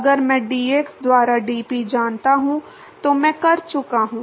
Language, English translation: Hindi, If I know dp by dx, I am done